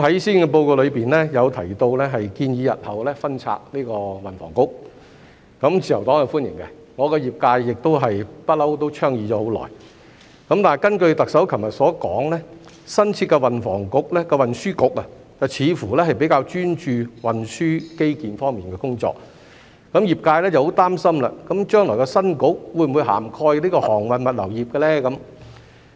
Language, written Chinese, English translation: Cantonese, 施政報告中提及建議日後分拆運輸及房屋局，自由黨是歡迎的，業界一向也倡議了很久；但根據特首昨日所說，新設的運輸局，似乎比較專注運輸基建方面的工作，業界很擔心將來的新局會否涵蓋航運物流業？, The Liberal Party welcomes the proposal to split the Transport and Housing Bureau in the Policy Address which the industry has been advocating for a long time; But according to the Chief Executive yesterday the new Transport Bureau seems to be more focused on transport infrastructure the industry is very worried about whether the new Bureau will cover the shipping and logistics industry?